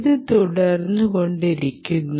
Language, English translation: Malayalam, so it goes, goes on like this